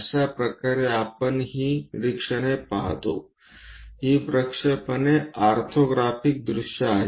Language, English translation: Marathi, This is the way we look at these observations; the projections are orthographic views